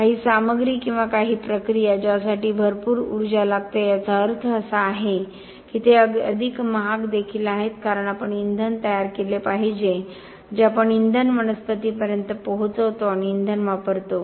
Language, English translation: Marathi, Some material or some process which requires a lot of energy means that it is also more expensive because we have to make the fuel we make the fuel reach the plant and use the fuel